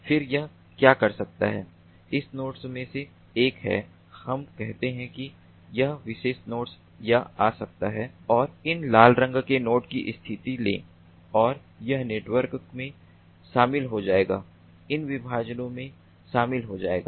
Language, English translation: Hindi, if we can have one of these nodes, mobile nodes which can move, then what it can do is: one of these nodes, let us say, this particular node can come and take the position of these red colored node and this network will be joined, these partitions will be joined